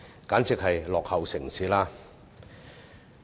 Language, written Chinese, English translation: Cantonese, 簡直是落後城市。, It will be nothing but a backward city